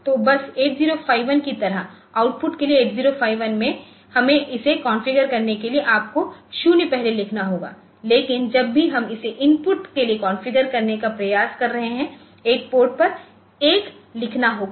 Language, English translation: Hindi, So, just like 8051; 8051 for output we did not need to configure it, but whenever we are trying to con configure it as input so, you have to write a 0 first onto the write a one to the port first